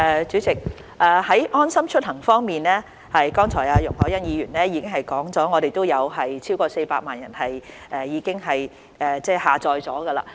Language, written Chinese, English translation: Cantonese, 主席，在"安心出行"方面，剛才容海恩議員說過，現已有超過400萬人下載。, President as Ms YUNG Hoi - yan said just now LeaveHomeSafe has recorded downloads of over 4 million